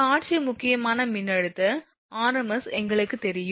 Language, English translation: Tamil, We know visual critical voltage rms